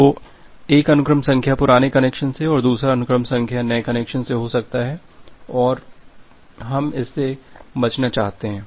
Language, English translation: Hindi, So, you can have one sequence number from this old connection another sequence number from this new connection and we want to avoid that